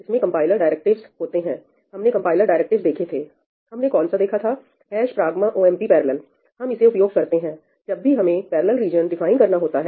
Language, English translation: Hindi, It consists of compiler directives; we saw compiler directives, which one did we see – ‘hash pragma omp parallel’, when we wanted to define a parallel region, right